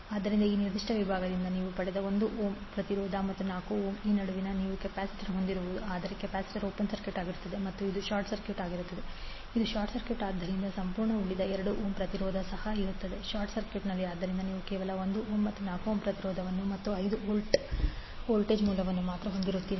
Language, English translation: Kannada, So 1 ohm resistance you got from this particular section and 4 ohm is from this section where you have capacitor in between but capacitor will be open circuited and this is short circuit, this is short circuit so the complete left 2 ohm resistance will also be short circuited, so you will left with only 1 ohm and 4 ohm resistances and 5 volt voltage source